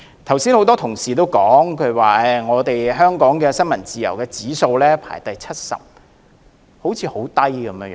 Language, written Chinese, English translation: Cantonese, 剛才有很多同事指出，香港在新聞自由指數排第七十名，排名甚低。, Just now many colleagues pointed out that Hong Kong ranks the 70 in the World Press Freedom Index which is pretty low